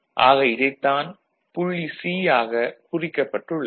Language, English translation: Tamil, So, this is the point C, that is how it is defined